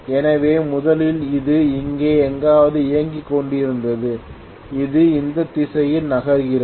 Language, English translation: Tamil, So probably originally it was operating somewhere here and it is moving in this direction okay